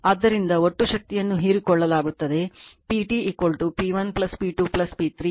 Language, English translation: Kannada, Therefore the total power absorbed is P T is equal to P 1 plus P 2 plus P 3